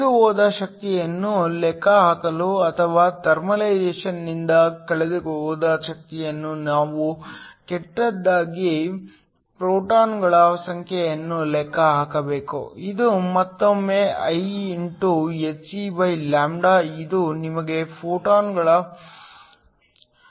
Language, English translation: Kannada, To calculate the energy lost or the power lost to thermalization we worse need to calculate the number of photons, this is again Ihc/λ which gives you the number of photons